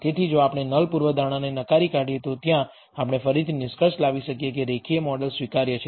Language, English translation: Gujarati, So, if we reject the null hypothesis, there again we may conclude that the linear model is acceptable